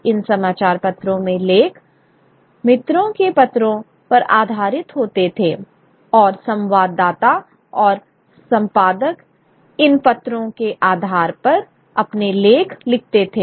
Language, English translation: Hindi, In these newspapers articles would be based on letters from friends and correspondents and editors would write their articles on the basis of these letters